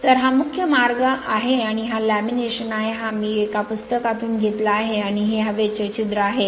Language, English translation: Marathi, So, this is the key way and this is lamination, this is I have taken from a book, and this is the air holes right